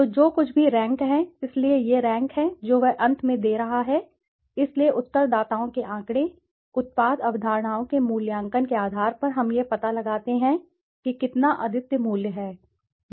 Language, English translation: Hindi, So, whatever the ranks, so these are the ranks which he is giving finally, so based on the respondents figure, evaluation of the product concepts we figure out how much unique value